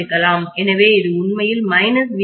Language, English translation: Tamil, So this is actually minus VB